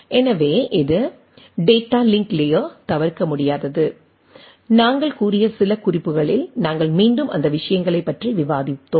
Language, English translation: Tamil, So, it plays data link layer is inevitable as in some references we have told, we will be again discussing those things